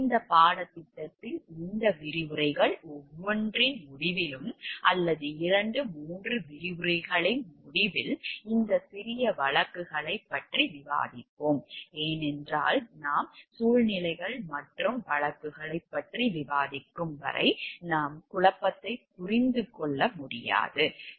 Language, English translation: Tamil, The in this course we will discuss at the end of each of these lectures, or maybe at the end of 2 3 lectures, this small cases, because until and unless we discuss about situations, and cases we will not be able to understand the dilemma the conflict of interest that is happening